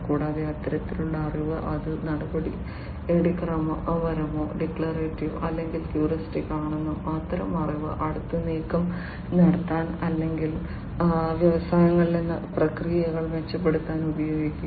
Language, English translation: Malayalam, And, that kind of knowledge will be used whether it is procedural, declarative or, heuristic, that kind of knowledge is going to be used to make the next move or, to improve the processes in the industries